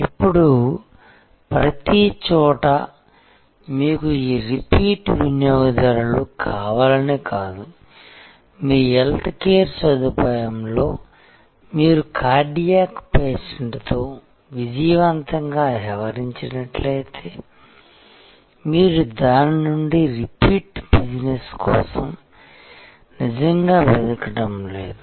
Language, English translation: Telugu, Now, of course, it is not that every where you want this repeat customer, like if a, your healthcare facility and you have successfully dealt with a cardiac patient, you are not really looking for a repeat business from that